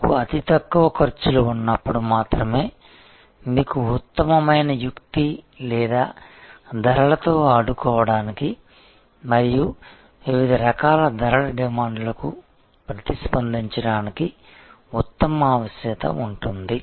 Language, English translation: Telugu, Because, it is only when you have the lowest costs, you have the best maneuverability or the best flexibility to play with pricing and respond to different types of price demands